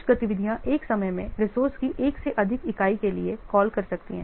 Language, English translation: Hindi, Some of the activities may call for more than one unit of the resource at a time